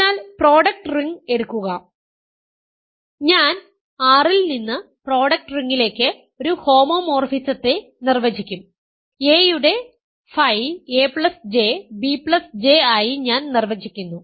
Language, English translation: Malayalam, So, take the product ring and I will define a homomorphism from R to the product ring, I define phi of a to be a plus I comma b plus J sorry a plus J